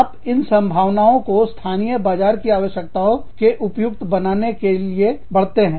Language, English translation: Hindi, You enlarge the scope, to fit the needs of the local markets